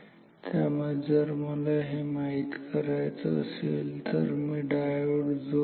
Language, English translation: Marathi, So, if this is what I want now I will put diodes